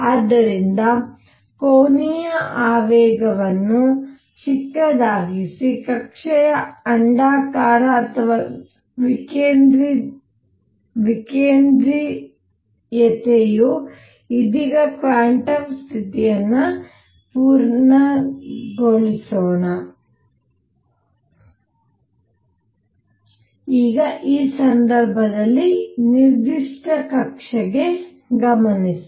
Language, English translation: Kannada, So, smaller the angular momentum larger the ellipticity or eccentricity of the orbit right now let us supply quantum condition, now in this case is notice that for a given orbit